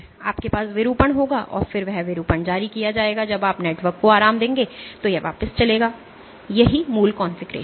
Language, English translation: Hindi, So, you will have deformation and then that deformation will be released when you relax the network it will go back to it is original configuration